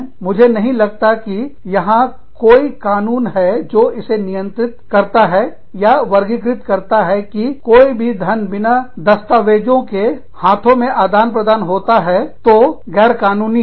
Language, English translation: Hindi, I do not think, there is any law, that governs the, that classifies, any money, that exchanges hands, you know, without documentation, as illegal